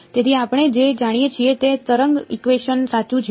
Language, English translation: Gujarati, So, what we already know is the wave equation right